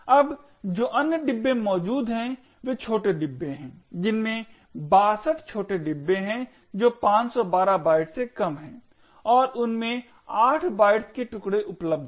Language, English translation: Hindi, Now the other bins that are present are the small bins there are 62 small bins which are less than 512 bytes and there are chunks of 8 bytes presented in them